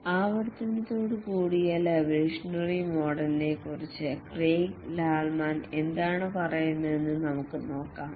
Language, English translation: Malayalam, Let's see what Craig Lerman has to say about evolutionary model with iteration